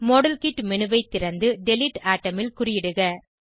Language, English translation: Tamil, Open modelkit menu and check against delete atom